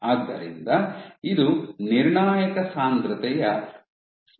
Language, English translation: Kannada, So, this is the critical concentration Cc